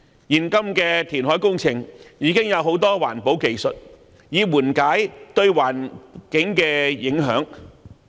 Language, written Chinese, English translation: Cantonese, 現今的填海工程已有多項環保技術緩解對環境的影響。, Various environmental technologies have been developed to mitigate the environmental impacts caused by reclamation works these days